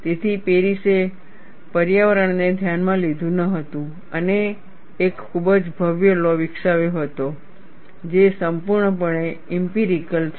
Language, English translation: Gujarati, So, Paris did not consider the environment and developed a very elegant law, which is purely empirical